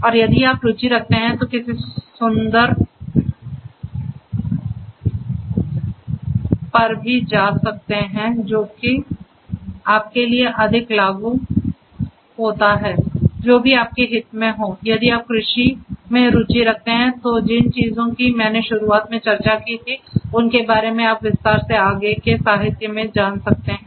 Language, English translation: Hindi, And if you are interested you can go through whichever is more applicable to you whichever interests you more if you are from if you have interests in agriculture the ones that I discussed at the very beginning you can go through the corresponding literature in further detail